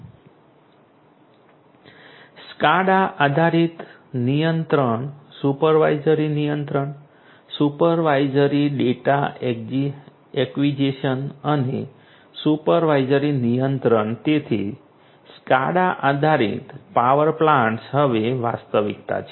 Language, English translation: Gujarati, SCADA based control, supervisory control, supervisory data acquisition and supervisory control so, SCADA based power plants are a reality now